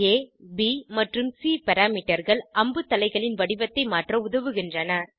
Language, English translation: Tamil, The A, B and C parameters help to vary the shape of the arrow heads